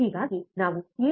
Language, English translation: Kannada, Then I can write 7